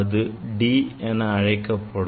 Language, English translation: Tamil, that will be the d